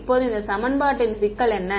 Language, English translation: Tamil, Now, what is the problem with this equation